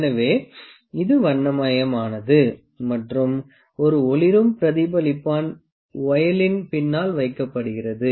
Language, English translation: Tamil, So, it is coloured and also a luminescent reflector is kept behind the voile